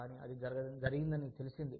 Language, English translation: Telugu, But, it has been known to happen